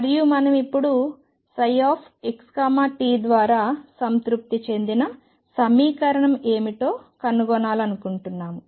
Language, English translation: Telugu, And we want to now discover what is the equation satisfied by psi x t